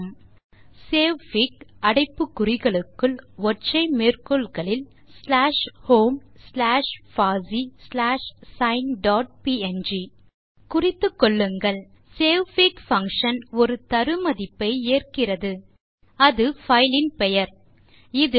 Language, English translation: Tamil, The statement is savefig within brackets in single quotes slash home slash fossee slash sine dot png Notice that savefig function takes one argument which is the filename, the last 3 characters after the